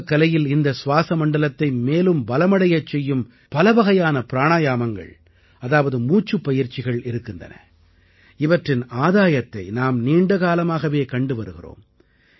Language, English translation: Tamil, In yoga, there are many types of Pranayama that strengthen the respiratory system; the beneficial effects of which we have been witnessing for long